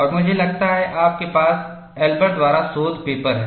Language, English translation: Hindi, And I think, you have the paper by Elber